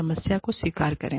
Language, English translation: Hindi, Acknowledge the problem